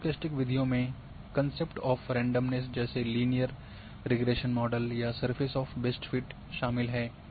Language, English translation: Hindi, In stochastic methods which incorporate the concept of randomness similar to a linear regression model or a surface of best fit